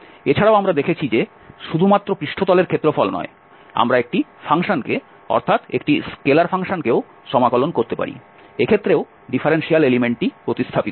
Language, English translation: Bengali, Also we have seen that not only the surface area, we can integrate a function also a scalar function, again the differential element will be replaced